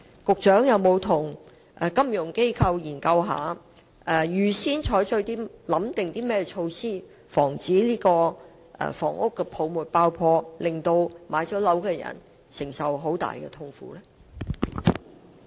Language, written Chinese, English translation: Cantonese, 局長有否與金融機構進行研究，預早考慮應對措施以防樓市泡沫爆破，避免已經置業的人士承受極大痛苦？, Have the Secretary and financial institutions conducted studies to take precautions against the burst of the housing bubble so as to spare home owners from immense suffering?